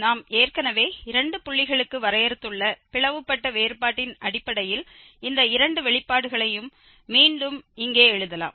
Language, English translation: Tamil, So, b 2 will have this format and these two expressions here we can again write in terms of the divided difference which we have already defined for two points earlier